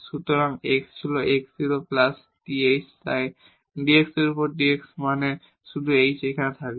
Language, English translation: Bengali, So, x was x 0 plus th so dx over dt means only the h will remain here